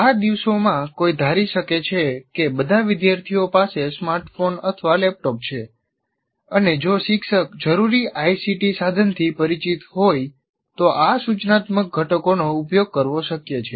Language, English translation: Gujarati, But if you, these days, assuming that all students have smartphones or laptops, and then the teacher is familiar with a particular ICT tool, they can readily be used